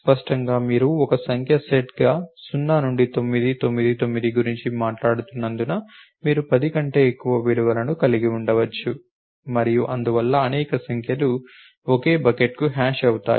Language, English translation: Telugu, Clearly, because you are talking about 0 through 9 9 9 as a number set are possible you have you have more than 10 values and therefore, main numbers will hash to the same bucket